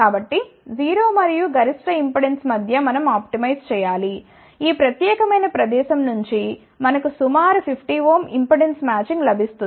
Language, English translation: Telugu, Here so, between 0 and maximum impedance we need to optimize, this particular location where we get approximately 50 ohm impedance matching